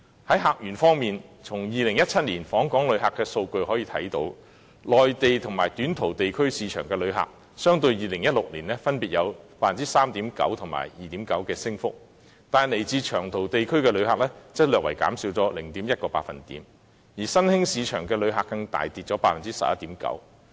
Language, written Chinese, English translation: Cantonese, 在客源方面，從2017年訪港旅客的數據可見，內地和短途地區市場的旅客，相對於2016年分別有 3.9% 及 2.9% 的升幅，但來自長途地區的旅客則略為減少 0.1%， 而新興市場的旅客更大跌 11.9%。, In respect of visitor sources as we can see from the statistics on visitor arrivals in 2017 visitors from the Mainland and short - haul markets recorded an increase of 3.9 % and 2.9 % respectively but visitor arrivals from long - haul markets were slightly down by 0.1 % while those from new markets even dropped significantly by 11.9 % over 2016